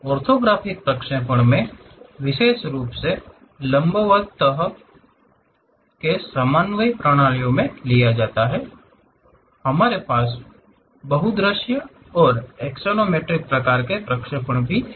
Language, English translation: Hindi, In orthographic projections, especially in perpendicular kind of coordinate systems; we have multi views and axonometric kind of projections